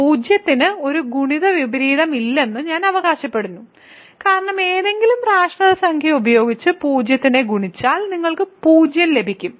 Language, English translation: Malayalam, I am claiming that 0 does not have a multiplicative inverse that is because if we multiply 0 with any rational number you get 0